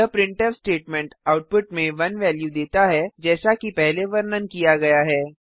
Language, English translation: Hindi, This printf statement outputs the value of 1 as explained previously